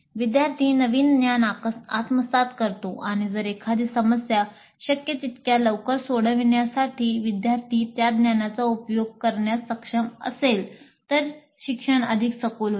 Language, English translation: Marathi, The student acquires the new knowledge and if the student is able to apply that knowledge to solve a problem as quickly as possible, the learning becomes deeper